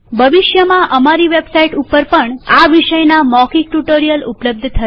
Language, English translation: Gujarati, Our website will also have spoken tutorials on these topics in the future